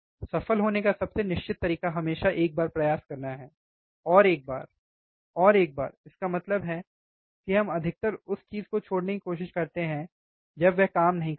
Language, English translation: Hindi, The most certain way of to succeed is always to try just once once more one more time; that means, that we generate try to give up the thing, right when it does not work